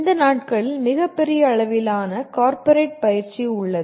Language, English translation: Tamil, And there is a tremendous amount of corporate training these days